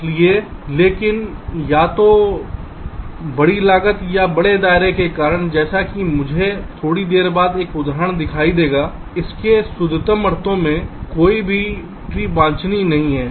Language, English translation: Hindi, so, but because of either large cost or large radius, as i as i shall see an example a little later, neither of tree in its purest sense is desirable